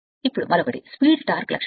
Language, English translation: Telugu, Now, another one is the speed torque characteristic